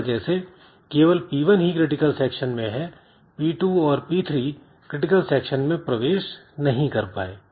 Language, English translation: Hindi, So, as a result only p1 is in critical section, p2, p3 they are not, they could not enter into the critical section